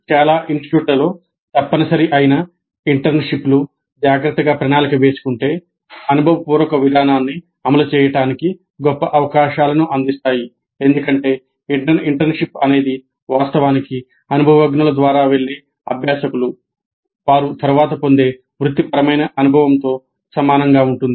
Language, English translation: Telugu, Internships which now have become mandatory in many institutes if planned carefully provide great opportunities for implementing experiential approach because internship in some sense is actually the learners going through experience which is quite similar to the professional experience that they are likely to get later